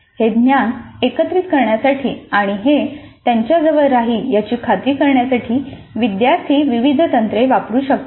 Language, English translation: Marathi, Learners can use a variety of techniques to integrate this knowledge and to ensure that it stays with them